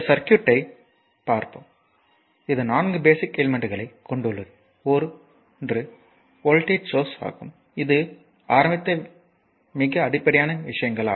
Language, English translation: Tamil, Just look at this circuit it consist of four basic element so, one is voltage source so, this is very you know very basic things we have started